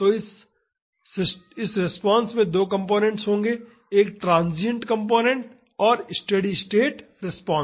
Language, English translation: Hindi, So, this response will have two components a transient component and the steady state response